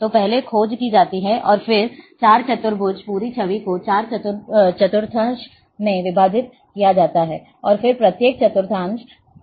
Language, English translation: Hindi, So, first the search is made, and then 4 quadrants, the entire image are divided into 4 quadrants, and then each quadrant is further searched